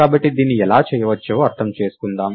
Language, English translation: Telugu, So, let us just understand how this can be done